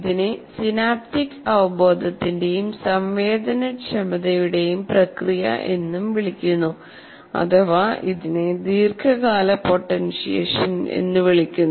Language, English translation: Malayalam, This is also called the process of synaptic awareness and sensitivity which is called long term potentiation